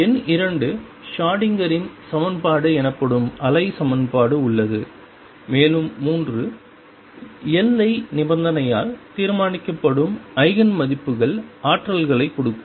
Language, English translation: Tamil, Number 2 there is a wave equation known as the Schrodinger’s equation, and 3 the Eigen values determined by the boundary condition give the energies